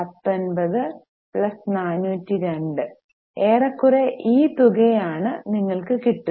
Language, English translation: Malayalam, You can see almost 19 plus 402 more or less you are going to get this amount